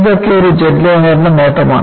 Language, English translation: Malayalam, So, this is the advantage of a jetliner